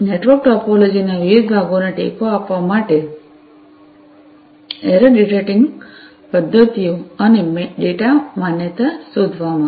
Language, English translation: Gujarati, And, error detecting mechanisms and data validation for supporting you know different parts of the network topology